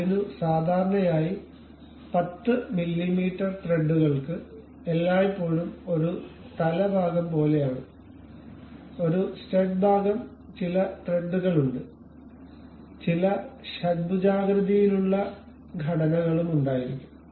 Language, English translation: Malayalam, So, usually these 10 mm threads always be having something like a head portion, there is a stud portion, there are some threads some hexagonal kind of structures we will be having